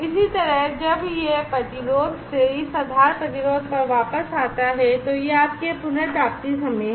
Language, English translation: Hindi, Similarly, when it comes back from this resistance to the base resistance so that is your recovery time